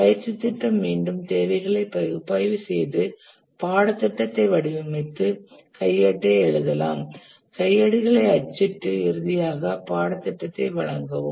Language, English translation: Tamil, The training program again analyze the requirements, design the course, write the manual, print handouts and then finally deliver the course